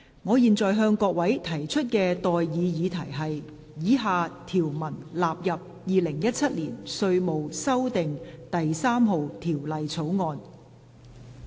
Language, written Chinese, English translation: Cantonese, 我現在向各位提出的待議議題是：以下條文納入《2017年稅務條例草案》。, I now propose the question to you and that is That the following clauses stand part of the Inland Revenue Amendment No . 3 Bill 2017